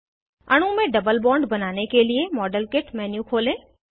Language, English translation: Hindi, To introduce a double bond in the molecule, open the model kit menu